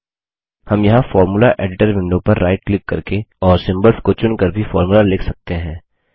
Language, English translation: Hindi, We can also write a formula by right clicking on the Formula Editor window and selecting symbols here